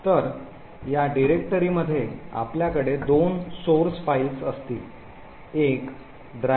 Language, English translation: Marathi, So, in this particular directory we would actually have two source files, one is known as the driver